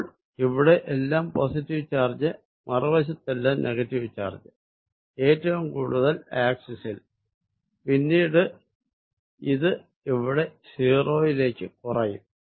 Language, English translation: Malayalam, So, that it is positive all over here and negative on the other side maximum being along this axis and then it diminishes and becomes 0 here